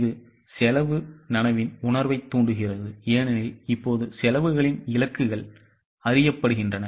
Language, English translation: Tamil, It inculcates a feeling of cost consciousness because now the targets of costs are known